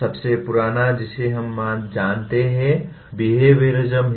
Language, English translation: Hindi, The oldest one that we know of is the “behaviorism”